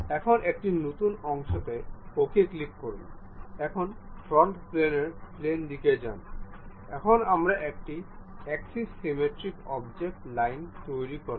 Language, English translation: Bengali, Now, a new one, click part ok, now go to front plane, now we will construct a axis symmetric object, line